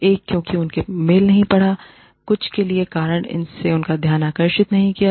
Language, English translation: Hindi, One, because, they have not read the e mail, for some reason, it has missed their attention